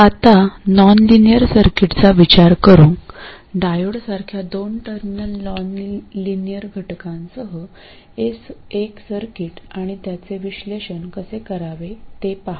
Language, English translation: Marathi, Now let's consider a nonlinear circuit, a circuit with a two terminal nonlinear element such as a diode and see how to analyze it